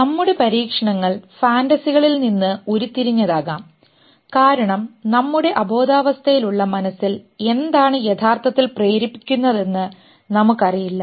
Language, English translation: Malayalam, And maybe we derive our experiments from those fantasies because we really don't know what in our unconscious mind is really pushing